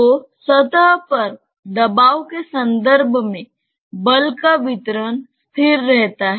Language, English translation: Hindi, So, the distribution of force in terms of pressure on the surface remains unaltered